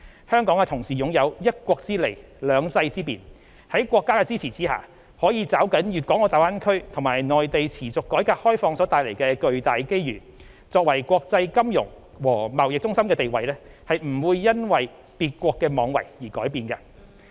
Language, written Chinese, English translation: Cantonese, 香港同時擁有"一國之利、兩制之便"，在國家的支持下，可抓緊粵港澳大灣區和內地持續改革開放所帶來的巨大機遇，作為國際金融和貿易中心的地位不會因為別國妄為而改變。, Capitalizing on the strengths of the one country two systems Hong Kong will harness the tremendous opportunities presented by the Guangdong - Hong Kong - Macao Greater Bay Area and the sustained reform and opening up of the Mainland with the support of the Central Peoples Government . Hong Kongs status as an international financial and trade centre will not change despite the wrongdoing of another country